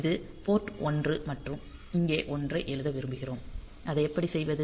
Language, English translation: Tamil, So, this is the port 1 and we want to write a 1 here; so how to do it